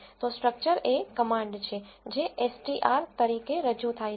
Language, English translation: Gujarati, So, structure is the command which is represented as str